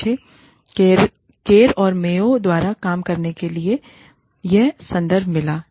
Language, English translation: Hindi, I found this reference to work, by Kerr, and Mayo